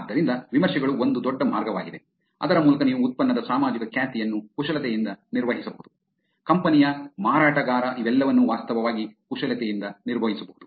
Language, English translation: Kannada, So, reviews become a big way by which you can actually manipulate the social reputation of the product, of the company, of the seller, all of them can actually be manipulated